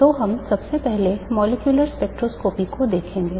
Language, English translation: Hindi, So we will first look at molecular spectroscopy